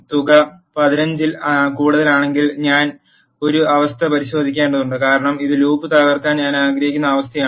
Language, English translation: Malayalam, And I have to check a condition if the sum is greater than 15 I will say break because this is the condition which I want to break the loop